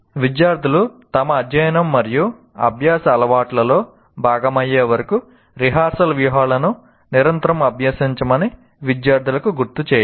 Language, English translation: Telugu, Remind students to continuously practice rehearsal strategies until they become regular parts of their study and learning habits